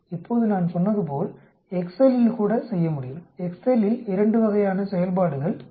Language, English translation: Tamil, Now as I said Excel also can do, there are two types of functions in Excel